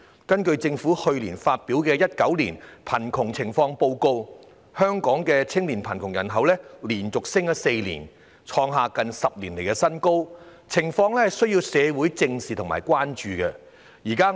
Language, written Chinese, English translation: Cantonese, 根據政府去年發表的《2019年香港貧窮情況報告》，香港青年貧窮人口連升4年，創下近10年新高，情況需要社會正視和關注。, According to the Hong Kong Poverty Situation Report 2019 published by the Government last year the population of poor youth in Hong Kong had increased for four consecutive years to hit a decade - high . The community needs to take this situation seriously and pay attention to it